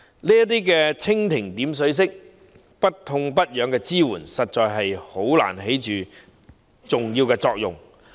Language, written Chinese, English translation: Cantonese, 這種蜻蜓點水式不痛不癢的支援，實在難以起重要作用。, Such piecemeal and perfunctory support measures can hardly achieve any significant effect